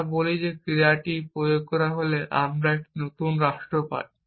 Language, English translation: Bengali, We say that when the action is applied we get a new state